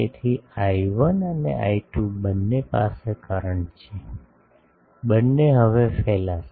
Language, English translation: Gujarati, So, I 1 and I 2 both having currents so, both will now radiate